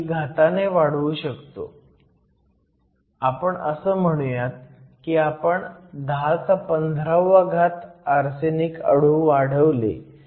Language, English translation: Marathi, We say we added around 10 to the 15 arsenic atoms